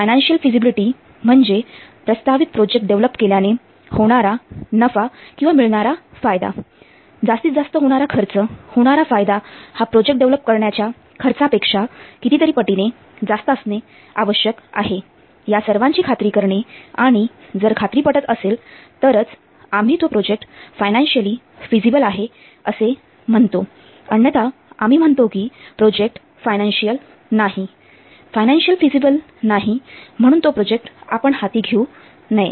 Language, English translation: Marathi, Financial feasibility means we should ensure that the profit or the benefit that will be obtained by implementing the proposed project it must outweigh the cost the benefits must be much much higher larger than the cost that will be spent in developing the project then well you will say that the project is financial feasible else we say that the project is not financial in it is not financial feasible and hence we should not undertake that project